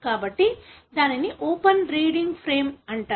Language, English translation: Telugu, So, that is what is called as open reading frame